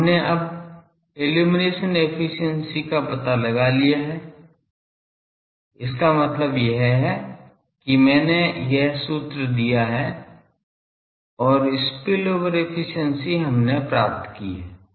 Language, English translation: Hindi, So, we have now found out the illumination efficiency, found out means this is I have given this formula and the spillover efficiency we have derived